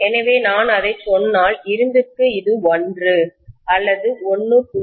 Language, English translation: Tamil, So if I say that for iron it is something like 1 or 1